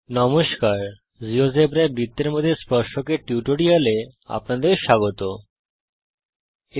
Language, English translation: Bengali, Hello Welcome to this tutorial on Tangents to a circle in Geogebra